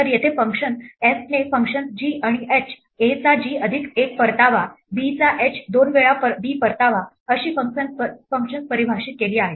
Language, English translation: Marathi, So, here for instance the function f has defined functions g and h, g of a returns a plus 1, h of b returns two times b